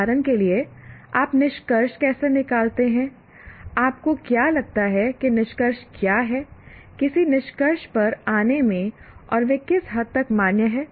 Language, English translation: Hindi, Looking at, for example, how do you draw conclusions, how do you, what do you think are the assumptions in coming to a conclusion and to what extent they are valid